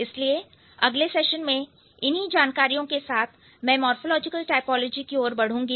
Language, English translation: Hindi, So, with this information in the next session I would move to the morphological typology